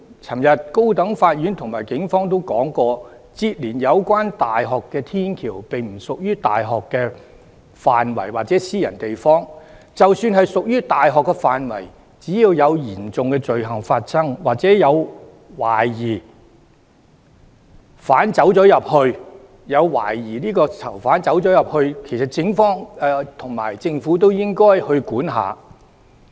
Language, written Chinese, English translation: Cantonese, 昨天高等法院和警方都說，連接有關大學的天橋並不屬於大學範圍或私人地方，即使屬於大學範圍，只要有嚴重罪行發生，或懷疑有疑犯進入，警方及政府都應該去管。, According to a High Court and the Police the bridge adjourning the university concerned does not form part of the university area nor does it form part of a private property; and even if it does the Police and the Government should take enforcement actions if they reasonably believe that serious crimes have taken place inside or suspects have entered the campus